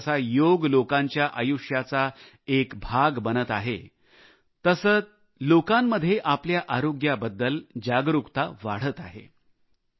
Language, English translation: Marathi, As 'Yoga' is getting integrated with people's lives, the awareness about their health, is also continuously on the rise among them